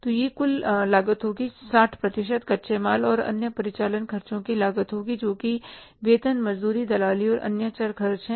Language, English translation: Hindi, So, it will be the total cost, 60% will be the cost of raw material plus other operating expenses that is salaries, wages, commission and other variable expenses